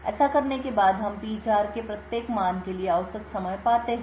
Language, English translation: Hindi, After we do this we find the average time for each value of P4